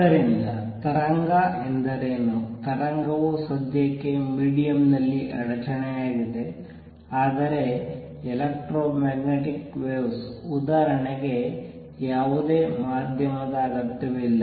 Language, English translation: Kannada, So, what a wave is; a wave is a disturbance in a media for the time being, but electromagnetic waves; for example, do not require any medium